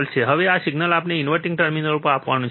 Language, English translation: Gujarati, Now this signal we have to apply to the inverting terminal